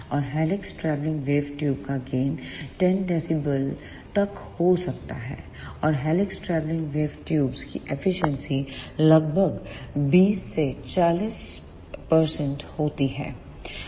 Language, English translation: Hindi, And the gain the helix travelling wave tubes can generate is up to 10 dB and the efficiency of helix travelling wave tubes is about 20 to 40 percent